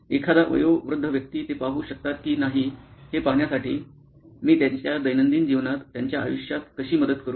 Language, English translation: Marathi, An elderly person to see if they can see, ‘How can I help their life in their day to day life